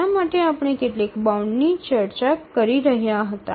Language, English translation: Gujarati, For that we were discussing some bounds